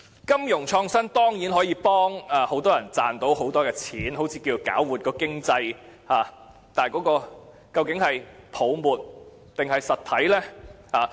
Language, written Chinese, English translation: Cantonese, 金融創新當然可有助很多人賺取很多金錢，似能搞活經濟，但這究竟是泡沫還是實體呢？, A lot of people would of course be benefited from financial innovation and make a big fortune while the economy would be revitalized but would it be a bubble economy or real economic growth?